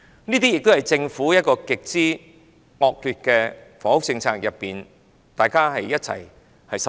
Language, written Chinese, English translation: Cantonese, 這些均源於政府極之惡劣的房屋政策，令大家一同受害。, All these problems stem from the extremely notorious housing policy of the Government which makes everyone suffer